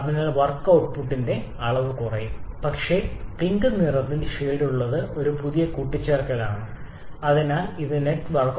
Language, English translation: Malayalam, So, that amount of work output will decrease, but the one shaded in pink that is a new addition so that is an increase in the network output